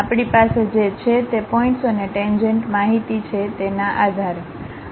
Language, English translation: Gujarati, Based on the points and the tangent information what we have